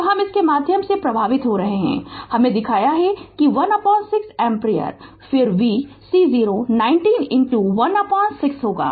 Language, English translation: Hindi, So, i is current flowing through this I showed you that this 1 upon 6 ampere then v c 0 will be 90 into 1 upon 6